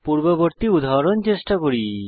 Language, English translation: Bengali, Let us try the previous example